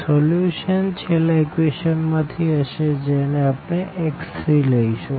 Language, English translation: Gujarati, So, the solution will be from the last equation we can directly write down our x 3